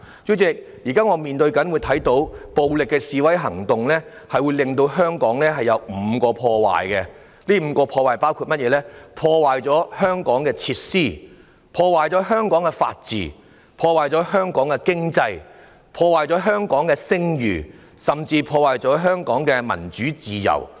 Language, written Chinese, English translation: Cantonese, 主席，我們現在看到，暴力示威行動對香港造成5項破壞，包括：破壞香港的設施、破壞香港的法治、破壞香港的經濟、破壞香港的聲譽，甚至破壞香港的民主自由。, President now we can see that violent demonstrations have caused five types of damage in Hong Kong including damage to Hong Kongs facilities rule of law economy reputation and even democracy and freedom . Frankly frequent demonstrations and processions are no problem at all . I think the right of peaceful expression has always been a core value in Hong Kong